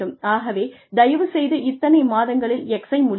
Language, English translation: Tamil, So, please finish X in so many months, please finish Y in so many months